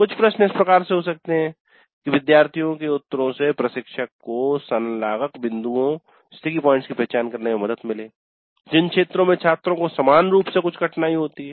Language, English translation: Hindi, So some of the questions can be in such a way that the responses of students would help the instructor in identifying the sticky points, the areas where the students uniformly have some difficulty